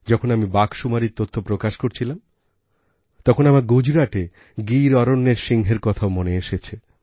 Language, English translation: Bengali, At the time I was releasing the data on tigers, I also remembered the Asiatic lion of the Gir in Gujarat